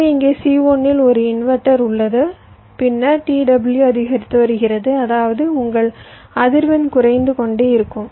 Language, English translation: Tamil, so there is a inverter here in c one, then your t w is increasing, which means your frequency would be decreasing